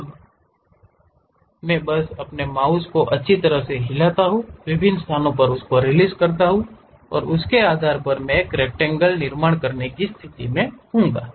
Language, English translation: Hindi, Now, I just nicely move my mouse, release at different locations, based on that I will be in a position to construct a rectangle